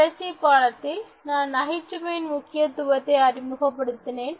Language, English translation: Tamil, In the previous lesson, I emphasized on the importance of humour in communication